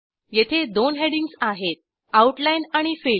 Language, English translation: Marathi, Here we have two headings: Outline and Fill